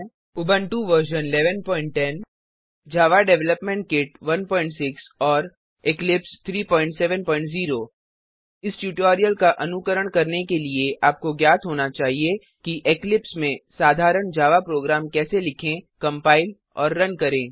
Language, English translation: Hindi, Here we are using Ubuntu version 11.10 Java Development kit 1.6 and Eclipse 3.7.0 To follow this tutorial you must know how to write, compile and run a simple java program in eclipse